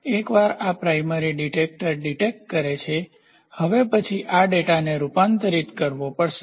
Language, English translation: Gujarati, Once this primary detector detects, so, now, then this data has to be converted